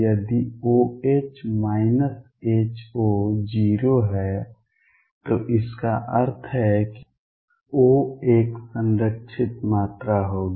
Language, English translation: Hindi, If O H minus H O is 0; that means, O would be a conserved quantity